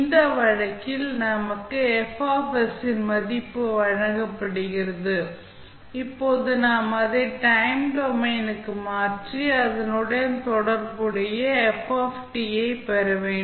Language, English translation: Tamil, In this case, we are given the value of F s and now we need to transform it back to the time domain and obtain the corresponding value of f t